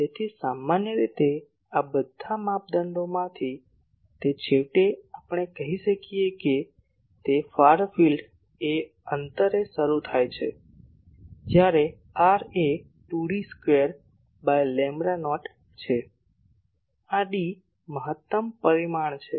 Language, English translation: Gujarati, So, it generally out of all these criteria finally we can say that the far field starts at a distance when r is equal to 2 D square by lambda not; this D is the maximum dimension